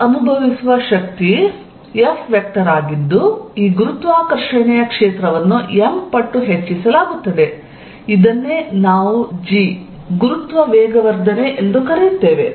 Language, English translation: Kannada, It experiences is a force F vector whose magnitude is given by m times this gravitational field, which we call g, gravitational acceleration